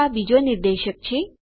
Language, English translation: Gujarati, so this is another pointer...